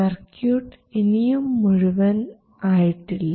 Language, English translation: Malayalam, This is the complete circuit